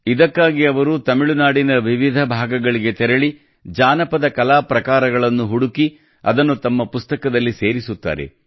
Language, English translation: Kannada, For this, he travels to different parts of Tamil Nadu, discovers the folk art forms and makes them a part of his book